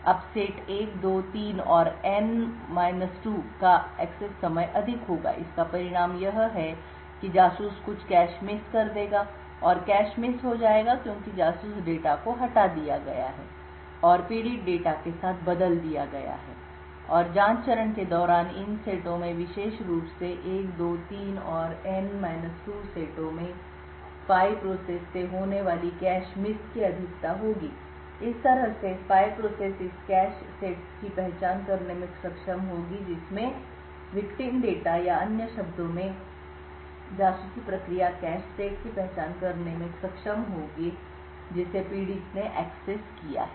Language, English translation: Hindi, Now the access time for set 1, 2, 3 and N 2 would be high, the result is that the spy would incur certain cache misses and the cache misses are incurred because the spy data has been evicted and replaced with the victim data and during the probe phase there would be further cache misses incurred by the spy process in these sets specifically sets 1, 2, 3 and N 2 in this way the spy process would be able to identify this cache sets which have victim data or in other words the spy process would be able to identify the cache sets which the victim has accessed